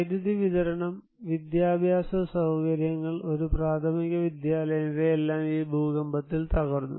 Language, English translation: Malayalam, So, electricity supply, educational facilities, one primary school they all were devastated by this earthquake